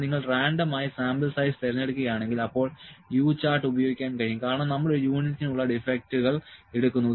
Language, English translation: Malayalam, But, if you are picking random number of sample size is, then U chart can be used because we will take the defects per unit